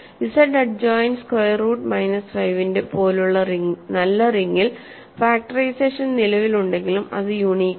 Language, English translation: Malayalam, And in a nicer ring like Z adjoined square root of minus 5, factorization exists but it is not unique